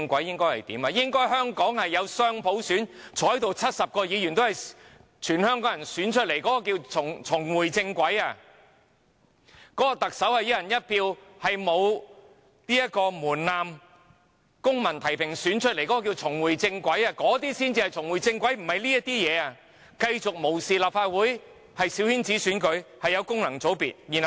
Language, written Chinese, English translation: Cantonese, 香港應該落實雙普選 ，70 名議員全數由香港人選出，這樣才是重回正軌；特首應該由沒有門檻的公民提名、市民"一人一票"選舉產生，這才是重回正軌，而不是繼續無視立法會、繼續保留小圈子選舉和功能界別。, Getting back onto the right track means that dual universal suffrage should be implemented in Hong Kong and all 70 Members should be elected by Hong Kong people . Getting back onto the right track means that the Chief Executive should be returned by election of one man one vote under civil nomination without any threshold instead of continuous disregard for the Legislative Council and maintaining coterie elections and functional constituencies